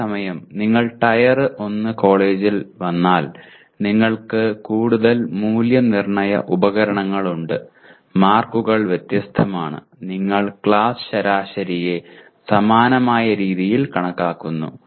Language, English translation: Malayalam, Whereas if you come to Tier 1 college, you have more assessment instruments and the marks are different and you compute the class averages in a similar way